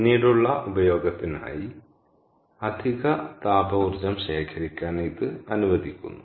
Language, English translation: Malayalam, so it allows excess thermal energy to be collected for later use